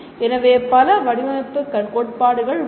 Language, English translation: Tamil, So there are several design theories as we see